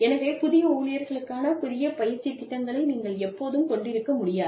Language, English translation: Tamil, So, you cannot, have fresh training programs, for newer employees, all the time